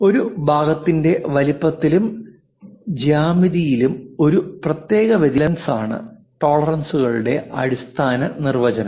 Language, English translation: Malayalam, The basic definition for tolerances it is an allowance for a specific variation in the size and geometry of a part